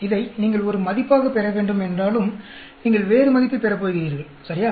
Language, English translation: Tamil, Although you should get this as the value, you are going to get different value, right